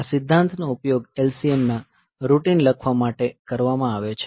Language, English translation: Gujarati, So, this principle will be used for writing the LCM routine